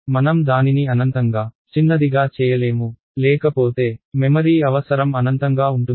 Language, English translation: Telugu, I cannot make it infinitely small otherwise the memory requirement will go to infinity